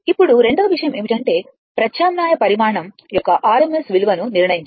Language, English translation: Telugu, Now, second thing is to determine the rms value of an alternating quantity